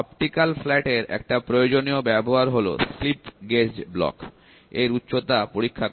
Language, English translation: Bengali, One of the obvious use of optical flat is to check the height of a slip gauge Block